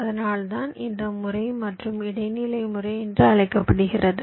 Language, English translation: Tamil, thats why this method is called method of means and medians